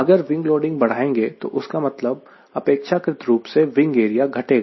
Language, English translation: Hindi, if i go on increasing the wing loading, that means i am, relatively i am reducing the wing area